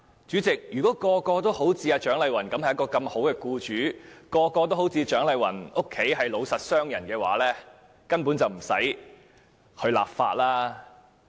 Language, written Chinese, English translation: Cantonese, 主席，如果人人也是如蔣麗芸議員般的好僱主，或人人也是如蔣麗芸議員的家族般的老實商人，便根本無須立法。, Chairman if every employer is as good as Dr CHIANG Lai - wan is or every businessman is as honest Dr CHIANG Lai - wans family members are there is simply no need for legislation